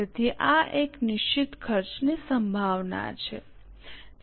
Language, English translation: Gujarati, So, this is more likely to be a fixed cost